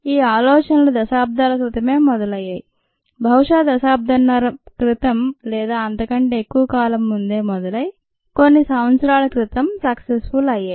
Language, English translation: Telugu, these um ideas started decades, probably at decade and a half ago or more ago, and then they have come to flowtion ah, probably a few years ago